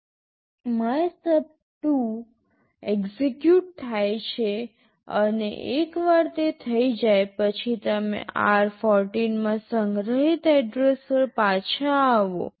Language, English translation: Gujarati, MYSUB2 gets executed and once it is done, you return back to the address stored in r14